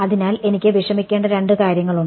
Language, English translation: Malayalam, So, there are two things that I have to worry about alright